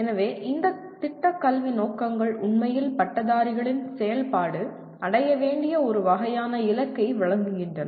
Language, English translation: Tamil, So these Program Educational Objectives really provide a kind of a goal that needs to be attained with the activities of graduates